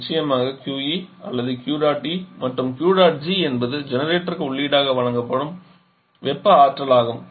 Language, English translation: Tamil, Of course QE or Q dot E is input to this and also Q dot G is the thermal energy giving input in the generator